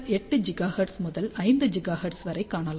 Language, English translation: Tamil, 8 gigahertz to up to about 5 gigahertz here